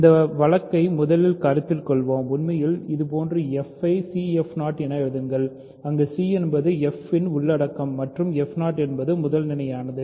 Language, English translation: Tamil, So, we will first consider the case first assume that actually we know that we let me say that like this, write f as c f 0 where c is the content of f and f 0 is primitive